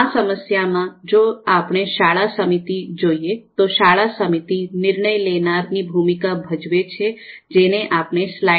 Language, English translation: Gujarati, Now in this problem if we look at the school committee, so here school committee is playing the role of a decision maker which we have denoted as DM here in the slide